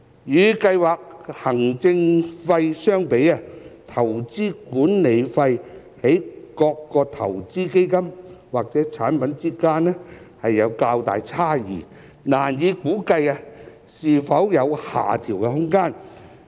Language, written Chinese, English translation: Cantonese, 與計劃行政費相比，投資管理費在各個投資基金或產品之間有較大差異，難以估計是否有下調空間。, Compared to the scheme administration fee the investment management fee varies more widely among investment funds or products making it difficult to estimate if there will be room for reduction